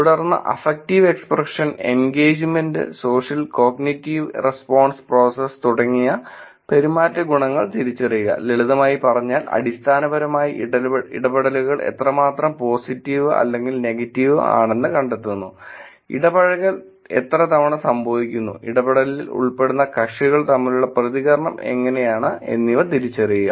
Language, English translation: Malayalam, Then, identifying behavioral attributes like affective expression, engagement social and cognitive response process; in simple term it is basically looking at finding out how positive or negative the interactions are, how frequently the engagement happens, how is the response between the parties involved in the interaction